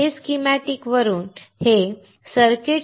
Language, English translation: Marathi, This schematic is from circuitstoday